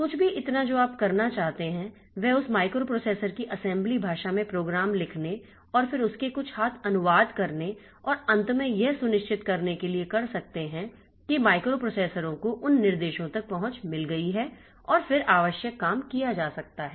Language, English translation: Hindi, So, anything that you want to do you can do it writing programs in the assembly language of that microprocessor and then doing some hand translation of that and finally somehow ensuring that the microprocessor has got access to those instructions and then the required job can be done